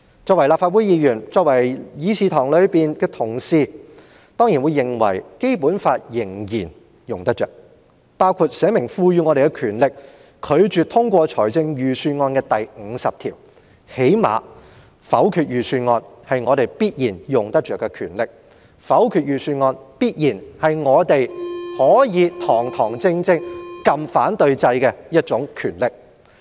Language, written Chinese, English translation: Cantonese, 作為立法會議員，議事堂內的同事當然認為《基本法》仍然用得着，包括列明賦予議員權力拒絕通過預算案的第五十條，因為否決預算案必然是我們用得着的權力，否決預算案必然是我們可以堂堂正正按下"反對"按鈕的權力。, As Members of the Legislative Council colleagues in this Chamber certainly think that the Basic Law is still usable including Article 50 which specifies the power of Members to refuse to pass a budget . The power to veto the budget is definitely usable by us and it is certainly our power to veto the budget by uprightly pressing the No button